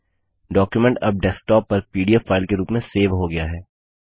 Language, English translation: Hindi, The document has now been saved as a pdf file on the desktop